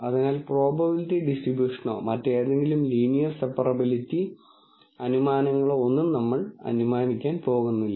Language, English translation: Malayalam, So, we are not going to assume probability distribution or any other linear separability assumptions and so on